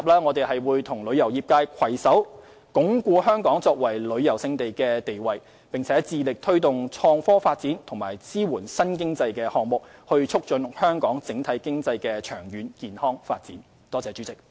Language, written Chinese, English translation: Cantonese, 我們亦會與旅遊業界攜手，鞏固香港作為旅遊勝地的地位，並且致力推動創科發展及支援新經濟項目，以促進香港整體經濟的長遠健康發展。, We will also join hands with the tourism trades to consolidate Hong Kongs position as a prime tourist destination and strive to take forward the development of innovation and technology and support new economic projects to promote the long - term development of Hong Kongs overall economy in a healthy manner